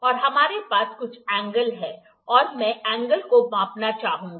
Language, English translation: Hindi, And we have some angle I would like to measure the angle